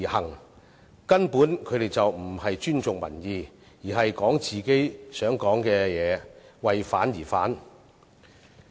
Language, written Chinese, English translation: Cantonese, 他們根本不尊重民意，只會說自己想說的話，為反而反。, They simply do not respect public opinion just saying whatever they wish and voicing opposition for the sake of opposition